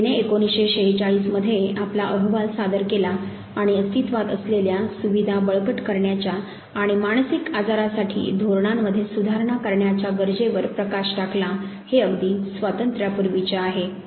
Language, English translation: Marathi, The committee submitted it is report in 1946 highlighting the need to strengthen existing facilities and reformulate policies for mental illness, this for just before independence